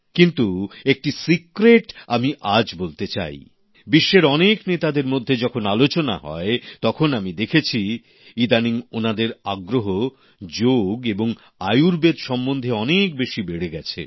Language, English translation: Bengali, I would like to share a secret today I've observed that during deliberations between world leaders; a lot of interest is evinced in Yog and Ayurved